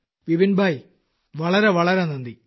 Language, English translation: Malayalam, Many thanks to Vipinbhai